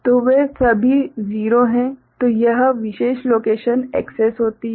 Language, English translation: Hindi, So, all of them are 0 that particular location is accessed